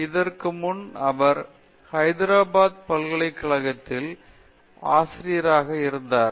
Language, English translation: Tamil, Before that she was a faculty in the University of Hyderabad